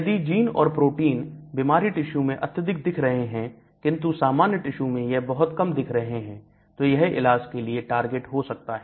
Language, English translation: Hindi, So if the genes and proteins are highly expressed in disease tissues but their expression is very low in normal tissues then that could be the target for therapy